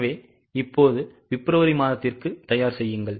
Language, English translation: Tamil, So, now please prepare it for February also